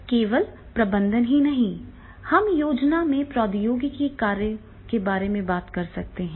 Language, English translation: Hindi, But not only these in management, we can talk about the functions of the technology